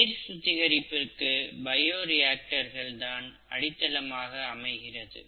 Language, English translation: Tamil, Bioreactors are the basal ones that are used for water treatment